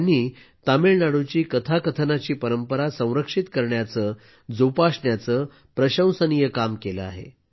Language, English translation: Marathi, He has done a commendable job of preserving the story telling tradition of Tamil Nadu